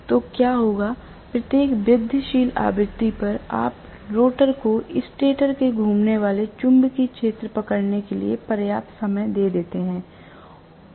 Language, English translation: Hindi, So, what will happen is at every incremental frequency, you give sufficient time for the rotor to catch up with the stator revolving magnetic field